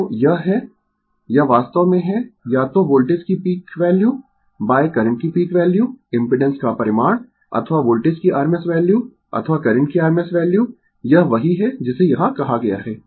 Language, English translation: Hindi, So, it is it is actually either peak value of the voltage by peak value of the current the magnitude of the impedance or rms value of the voltage or rms value of the current that is what has been main said here right